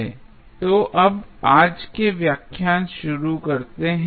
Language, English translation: Hindi, So, now, let us start the today's lecture